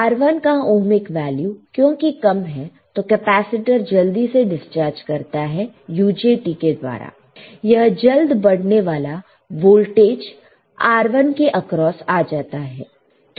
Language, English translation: Hindi, So, as the ohmic value of R1 is very low, the capacitor discharge is rapidly through UJT the fast rising voltage appearing across R1